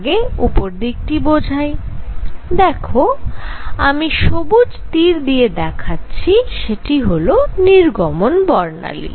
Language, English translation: Bengali, So, let me explain the upper portion where I am showing this by red the green arrow is the emission spectrum